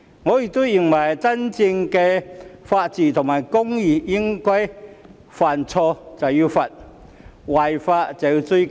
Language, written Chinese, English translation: Cantonese, 我亦認為真正的法治和公義應該是犯錯便要懲罰，違法便要追究。, I also consider that true rule of law and justice should mean that mistakes are punished for and liability is pursued for violation of the law